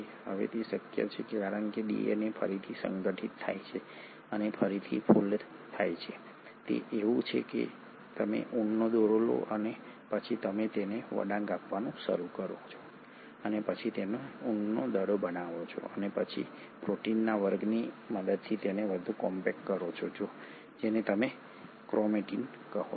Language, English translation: Gujarati, Now that is possible because the DNA gets reorganised and refolded it is like you take a thread of wool and then you start winding it to form a ball of wool and then further compact it with the help of a class of proteins which is what you call as a chromatin